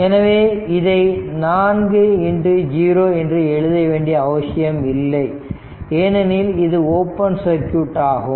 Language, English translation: Tamil, So, no need to write 4 into 0, because this is open circuit